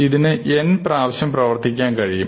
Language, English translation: Malayalam, So, this can take upto n iterations